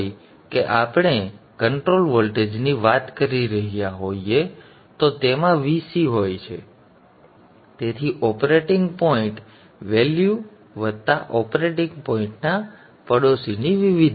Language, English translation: Gujarati, So if it is VC that we are talking of the control voltage, it is having a VC operating point value plus variation in the neighborhood of the operating point value